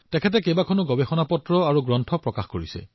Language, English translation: Assamese, He has published many research papers and books